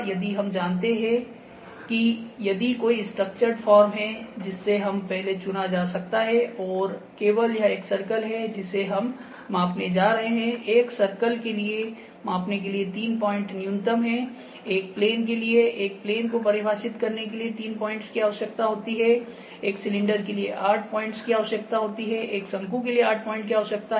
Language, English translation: Hindi, If we know that if there is a structured form we can selected before and only this is a circle that we are going to measure; for a circle, 3 points are minimum are required to measure; for a plane, 3 points are required to define a plane; for a cylinder 8 points required; for a cone 8 points are required